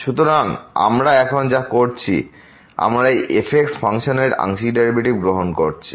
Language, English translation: Bengali, So, what we are now doing we are taking the partial derivatives of this function